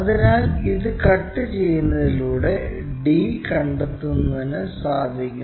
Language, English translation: Malayalam, So, we will be in a position to make a cut here to locate d and to locate d 1', d 1